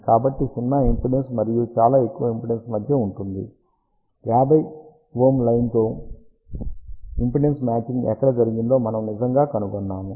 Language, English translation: Telugu, So, somewhere between zero impedance and very high impedance we have actually found out where impedance matching is done with 50 ohm line